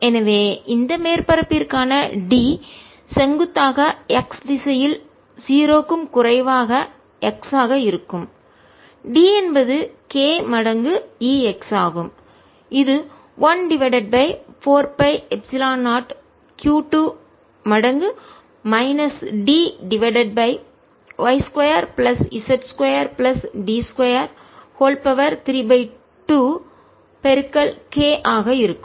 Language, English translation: Tamil, and d perpendicular from x greater than or equal to zero side is going to be only e x, which is equal to one over four, pi epsilon zero in the brackets, minus q d plus q one, d one over that distance, y square plus z square plus d square, raise to three by two